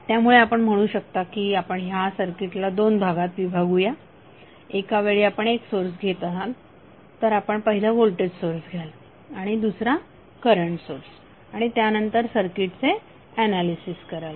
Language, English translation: Marathi, So you can say that you are dividing the circuit in 2 parts you are taking 1 source at a time so first you will take voltage source and second you will take as current source and analyze the circuit